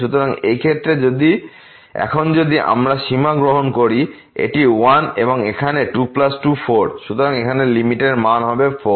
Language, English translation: Bengali, So, in this case now if we take the limit this is 1 and here 2 plus 2 so will become 4